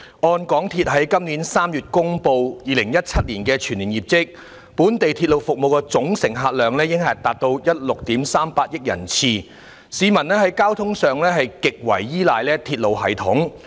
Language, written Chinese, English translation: Cantonese, 按香港鐵路有限公司在今年3月公布的2017年全年業績，本地鐵路服務的總乘客量已達到16億 3,800 萬人次，市民在交通上極為依賴鐵路系統。, According to its 2017 full year results announced in March this year the MTR Corporation Limited MTRCL recorded a total patronage of 1.638 billion for its domestic railway services showing that the public rely heavily on the railway system . The service quality corporate governance and works project monitoring of MTRCL in recent years are plagued with problems and far from satisfactory